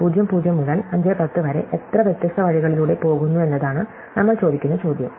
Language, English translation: Malayalam, And the question that we ask is how many different ways are going, are that go from (0, 0) to (5, 10)